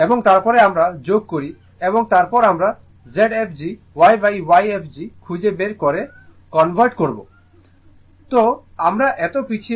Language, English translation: Bengali, And then we add and then we are converting finding out the Z fg 1 upon Y fg